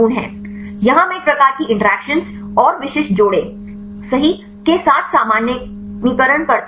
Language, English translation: Hindi, Here I general generalize with a type of interaction and the specific pairs right